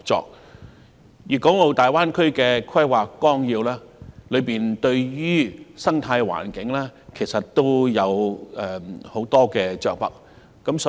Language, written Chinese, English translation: Cantonese, 就此，《粵港澳大灣區發展規劃綱要》對於生態環境着墨不少。, In this connection the Outline Development Plan for the Guangdong - Hong Kong - Macao Greater Bay Area has made quite some mention of the ecosystem